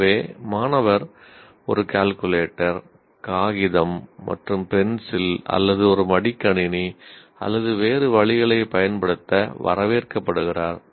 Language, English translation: Tamil, So the student is welcome to use a calculator, a paper and pencil, or paper and pencil, or maybe even a laptop or whatever that you want to call